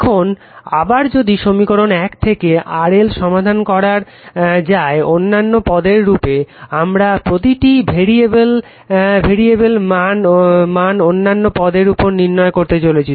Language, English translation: Bengali, Now, again if you solve from equation one in RL if you solve for RL in terms of other quantities, what we are doing is each con variable we are trying to find out in terms of others right